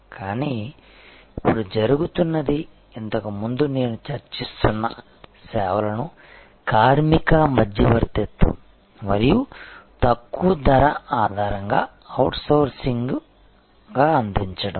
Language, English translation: Telugu, But, what is now happening is earlier such service as I was discussing were outsourced on the basis of labor arbitrage and lower cost